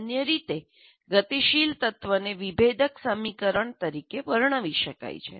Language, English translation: Gujarati, And normally a dynamic element can be described as a differential equation